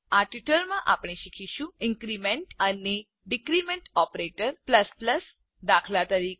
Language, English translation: Gujarati, In this tutorial, we will learn about: Increment and decrement operators ++ eg